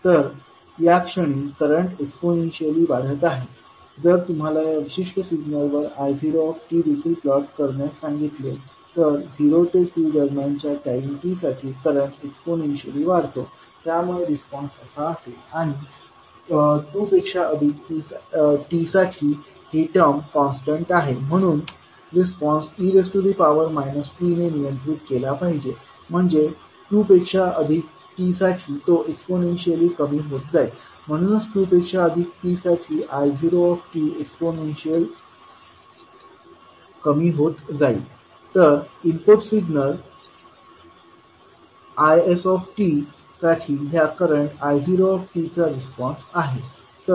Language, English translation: Marathi, So at this point the the current is exponentially rising so if you are asked to plot the I not t also on this particular signal so for time t ranging between zero to two it is exponentially raising so you response would be like this, and for t greater than two this term is anyway constant so the response should be govern by e to the power minus t means for t greater than two it would be exponentially decaying so the I naught t for time t greater than two would be exponentially decaying so this would be the response of current I naught for the input signal applied as Is